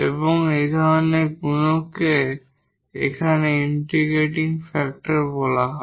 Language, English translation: Bengali, So, in that case this is the integrating factor